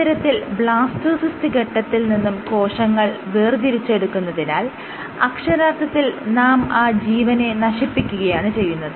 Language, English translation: Malayalam, So, by isolating cells from the blastocyst stage you are actually killing that organism